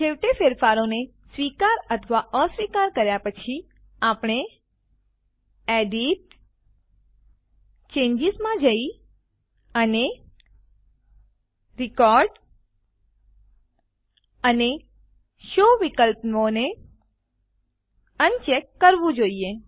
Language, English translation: Gujarati, Finally, after accepting or rejecting changes, we should go to EDIT gtgt CHANGES and uncheck Record and Show options